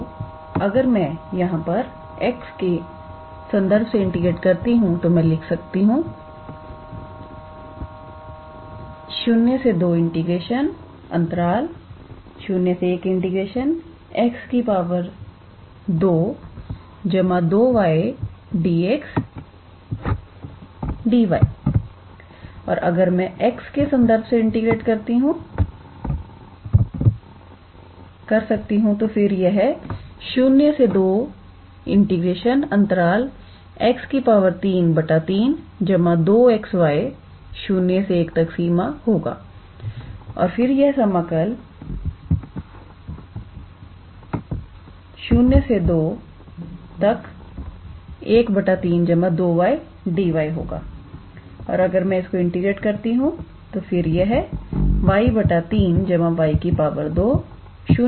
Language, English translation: Hindi, So, here if I integrate with respect to x first then I can write it as x square integral 0 to 1 plus 2y dx and then dy and if I integrate with respect to x then this will be x cube by 3 plus 2xy integral from 0 to 1 dy and this will be integral from 0 to 2, 1 by 3 plus 2y dy and if I integrate this then this will be y by 3 plus y square integral from 0 to 2